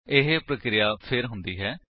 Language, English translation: Punjabi, This process is repeated